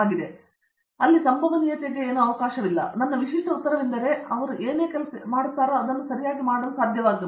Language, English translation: Kannada, So, my typical answer was whatever job they go they will be able to do it